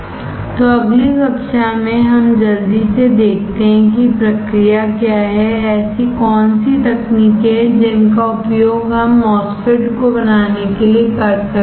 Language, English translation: Hindi, So, in the next class let us quickly see what are the process, what are the techniques that we can use to fabricate the MOSFET